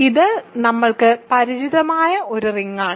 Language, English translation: Malayalam, So, this is a familiar ring to us